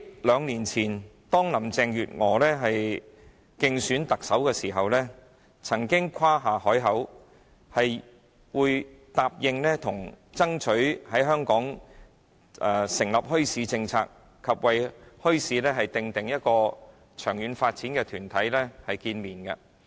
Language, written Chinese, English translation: Cantonese, 兩年前，林鄭月娥在競選特首時誇下海口，答應會爭取在香港訂立墟市政策，並與為墟市訂定長遠發展的團體會面。, Two years ago during her election campaign for the Chief Executive Carrie LAM promised to strive for the formulation of a policy on bazaars in Hong Kong and she also met with relevant organizations striving for long - term development of bazaars